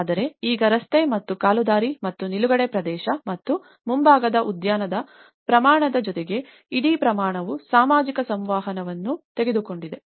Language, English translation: Kannada, But now with the scale of the street and the footpath and the parking and the front garden and so the whole scale have taken away that the social interaction